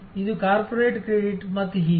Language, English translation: Kannada, Is it a corporate credit and so on